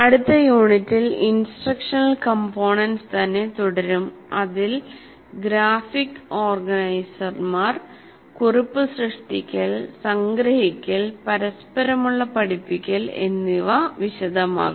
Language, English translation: Malayalam, And in the next unit, we'll continue with some more instructional components, especially graphic organizers, note making, andizing and some reciprocal teaching